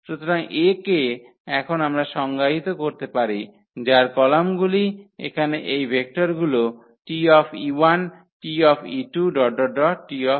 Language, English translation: Bengali, So, A now we can define whose columns are these vectors here T e 1, T e 2, T e n